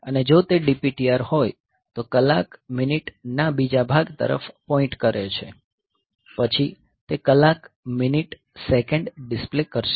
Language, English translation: Gujarati, And if it is a DPTR points to the hour minute second part; then it will be displaying the hour minute second